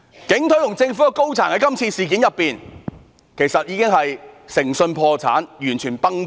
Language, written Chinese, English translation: Cantonese, 警隊和政府高層在今次事件中其實已誠信破產，完全"崩盤"。, After this incident the Police and top government officials have become completely bankrupt of integrity